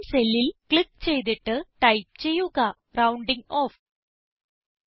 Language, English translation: Malayalam, Now, click on the cell referenced as B11 and type the heading ROUNDING OFF